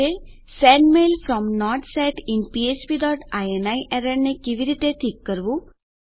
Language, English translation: Gujarati, How do we fix this Sendmail from not set in php dot ini error